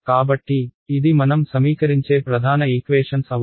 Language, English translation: Telugu, So, these are the main sets of equations that we will work with alright